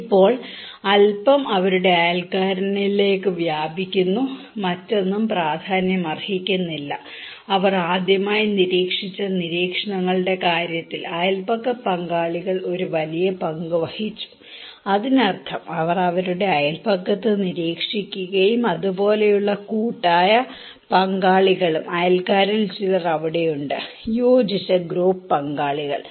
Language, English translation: Malayalam, Now, a little bit extends to their neighbour, no other are significant, in case of observations where they first time observed, it is the neighbourhood partners who played a big role that means, they watch in their neighbourhood but also the cohesive group partners like could be that some of the neighbours are there, cohesive group partners